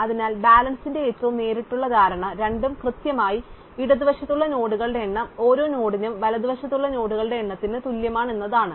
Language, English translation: Malayalam, So, the most direct notion of balance is that the two are exactly that is the number of nodes at the left is equal to the number of nodes in a right for every node